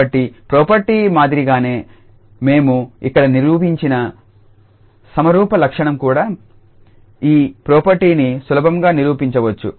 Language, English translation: Telugu, So, similarly to the property the symmetry property we have proved here one can also easily prove this property